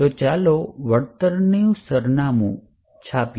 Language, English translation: Gujarati, So, let us now print the contents of the return